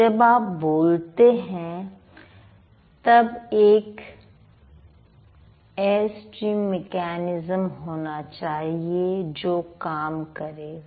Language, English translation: Hindi, So, when you speak, there must be an air stream mechanism which would work